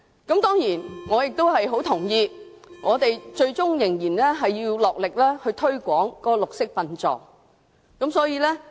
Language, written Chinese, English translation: Cantonese, 當然，我也很同意最終仍要盡力推廣綠色殯葬。, Of course I also strongly agree that we still have to make an all - out effort to promote green burial after all